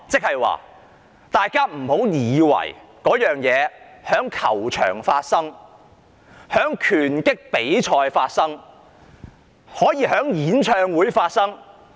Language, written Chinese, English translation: Cantonese, 大家不要以為這情況只會在球場和拳擊比賽中發生，可以在演唱會中發生。, Do not assume that the situation will only happen during a soccer match or a boxing match . It can also happen in a singing concert